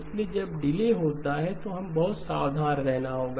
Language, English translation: Hindi, So when delay comes into the picture we have to be very careful